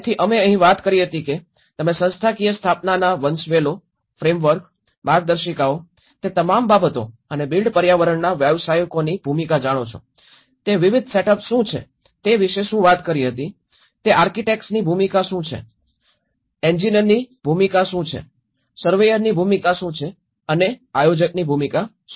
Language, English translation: Gujarati, So here we did talked about what are the various setups you know the hierarchies in a institutional set up, the frameworks, the guidances so all those things and the role of built environment professionals whether it is an, what is a role of architect, what is the role of an engineer, what is the role of a surveyor and what is the role of a planner